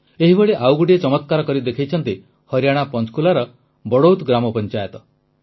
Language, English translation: Odia, A similar amazing feat has been achieved by the Badaut village Panchayat of Panchkula in Haryana